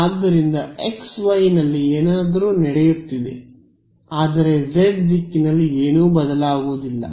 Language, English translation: Kannada, So, something is happening in xy, but nothing changes in the z direction